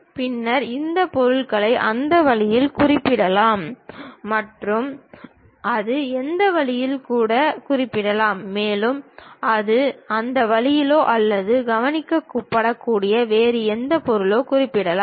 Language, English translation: Tamil, Then the object may be represented in that way, it might be represented even in that way and it can be represented in that way also or any other object which might be observed